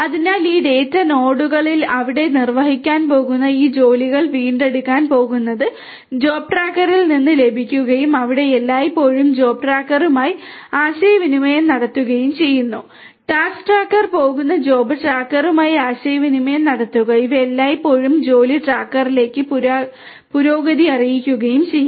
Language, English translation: Malayalam, So, the tasks this tasks that are going to be executed over here in this data nodes are going to be retrieved are going to be received from the job tracker and these are going to always be in communication with the job tracker, the task tracker is going to be in communication with the job tracker and these are always going to also report the progress to the job tracker